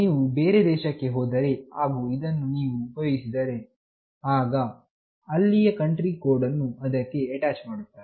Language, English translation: Kannada, When you move to some other country and you use it, then that unique country code will be attached to it